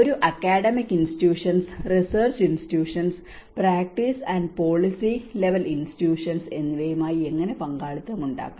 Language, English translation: Malayalam, How we can build partnerships with an academic institutions, research institutions, and the practice and policy level institutions